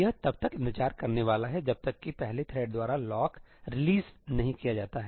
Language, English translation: Hindi, It is going to wait until that lock is not released by the first thread